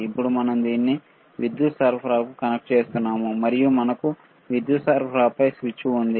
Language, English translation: Telugu, Now we are connecting this to the power supply, and we have switch on the power supply